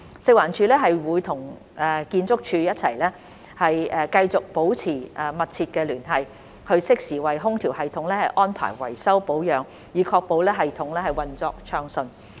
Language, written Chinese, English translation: Cantonese, 食環署會與建築署一起繼續保持緊密聯繫，適時為空調系統安排維修保養，以確保系統運作暢順。, FEHD will continue to maintain close liaison with ArchSD and arrange timely repair and maintenance for the air - conditioning system to ensure its smooth operation